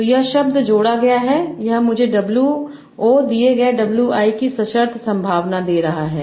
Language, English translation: Hindi, So this is giving me a conditional probability of W